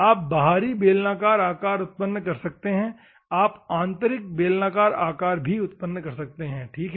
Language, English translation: Hindi, You can generate external cylindrical shapes you can also generate internal cylindrical shapes, ok